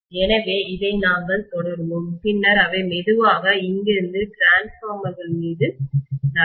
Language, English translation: Tamil, So we will continue with this and then they will slowly move onto transformers from here, okay